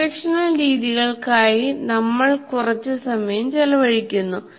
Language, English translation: Malayalam, Now we spend a little time on instructional methods